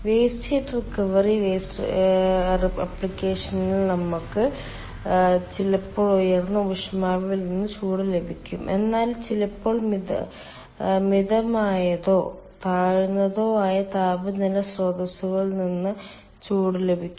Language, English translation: Malayalam, in waste heat recovery application we get sometimes we get heat from high temperature source but ah, sometimes we get heat from moderate or low temperature source